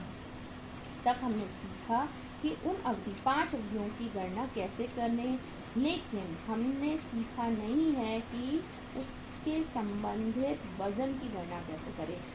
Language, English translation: Hindi, So, so far we have learnt how to calculate those durations, 5 durations but we have not learnt how to calculate the their respective weights